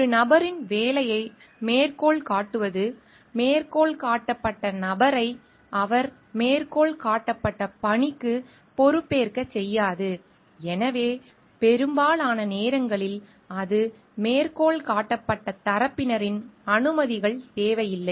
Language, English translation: Tamil, Citation of a person s work does not make the person cited accountable for the work in which he she is cited and thus, it most of the times does not requires permissions of parties whose work is cited